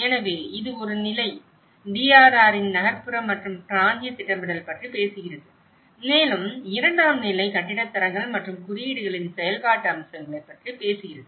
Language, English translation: Tamil, So, which is one level is talking about the urban and regional planning of it the DRR and the second level is talking about the implementation aspects of building standards and codes